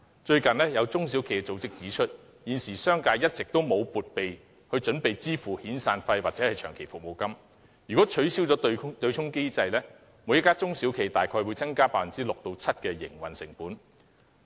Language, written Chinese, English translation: Cantonese, 最近，有中小企組織指出，現時商界一直沒有為遣散費或長期服務金作撥備，一旦取消對沖機制，每家中小企大概會增加 6% 至 7% 的營運成本。, Recently it was pointed out by an SME organization that the business sector has all along failed to make provisions for severance or long service payments . Should the offsetting mechanism be abolished each SME will probably see its operating cost increase by 6 % to 7 %